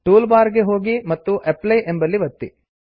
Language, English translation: Kannada, Go to the tool bar and click on the apply button